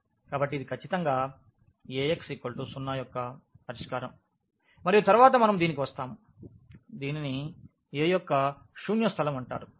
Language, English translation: Telugu, So, that is exactly the solution of Ax is equal to 0 and this later on we will come to this, this is called the null space of a